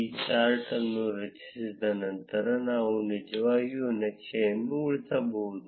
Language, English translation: Kannada, After creating this chart, we can actually save the chart